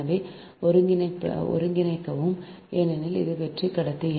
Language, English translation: Tamil, so integrate because it is hollow conductor